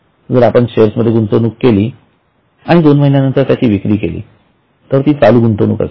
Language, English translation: Marathi, Or we have shares in invests in but 2 month those shares are going to be a current investment